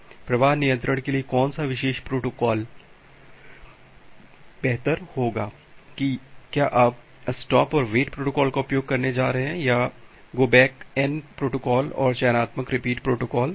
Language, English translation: Hindi, Now the question is that which particular protocol would be better for flow control whether you are going to use a stop and wait protocol or a go back N protocol and selective repeat protocol